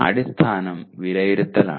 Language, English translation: Malayalam, Basis is the assessment